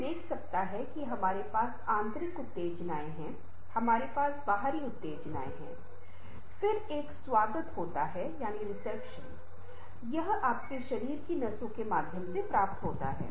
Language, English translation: Hindi, one can see that we have the internal stimuli, we have external stimuli, then there is a reception, it received in your body through nerves